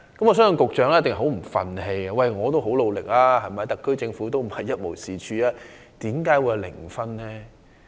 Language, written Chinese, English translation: Cantonese, 我相信局長一定很不服氣，因為他已經很努力，而特區政府又並非一無是處，為何得分是零分呢？, I believe that it is unacceptable to the Secretary as he must be wondering why the score is zero even though he has made tremendous efforts and the SAR Government is not without any merits